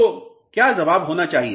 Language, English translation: Hindi, So, what should be the answer